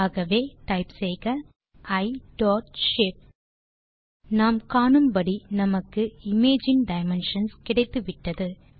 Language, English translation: Tamil, So type I dot shape As we can see,we got the dimensions of the image